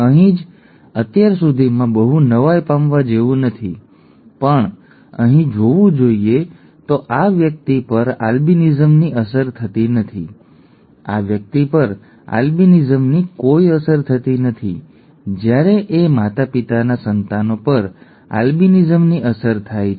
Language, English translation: Gujarati, Here itself is I mean, by now it is not very surprising, but to see here this person is not affected with albinism, this person is not affected with albinism, whereas the offspring of that those parents is affected with albinism